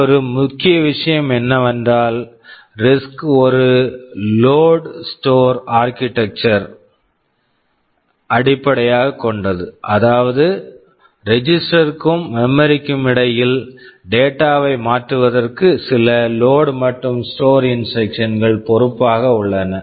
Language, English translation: Tamil, And another important thing is that RISC is based on a load/ store architecture, which means there are some load and store instructions load and store these instructions are responsible for transferring data between registers and memory